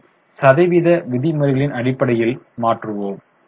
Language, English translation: Tamil, Let us convert it into percentage terms